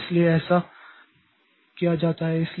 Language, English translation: Hindi, So that is why it is done